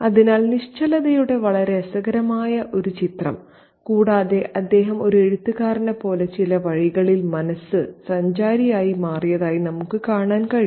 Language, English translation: Malayalam, So, the very interesting image of immobility and we can see that he has become a mind traveler in some ways, just like the writer